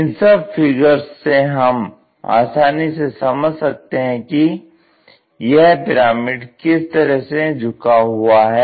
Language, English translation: Hindi, With that visual we can easily recognize how this pyramid is inclined